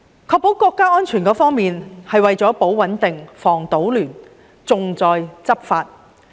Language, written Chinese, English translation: Cantonese, 確保國家安全，是為了"保穩定、防搗亂、重在執法"。, The purpose of ensuring national security is to maintain stability prevent chaos and focus on law enforcement